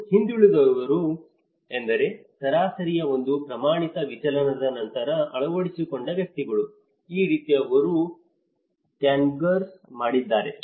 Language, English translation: Kannada, And the laggards are those individuals who adopted later than one standard deviation of the mean so, this is how they configured